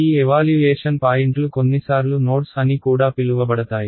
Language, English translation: Telugu, These evaluation points are also sometimes called nodes ok